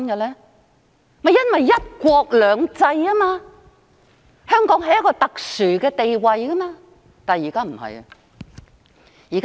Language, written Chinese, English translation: Cantonese, 正是因為"一國兩制"，香港有一個特殊的地位，但現在不是了。, That is because under the one country two systems principle Hong Kong has a special status but that is no longer the case